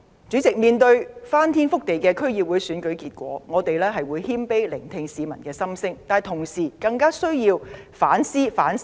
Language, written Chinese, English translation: Cantonese, 主席，面對翻天覆地的區議會選舉結果，我們會謙卑聆聽市民的心聲，但相比之下，特區政府絕對更需要反思反省。, How will it be well received by the citizens? . President in the face of the dynastic District Council Election results we will humbly listen to the views of the citizens . As for the Government it absolutely has a greater need to reflect and think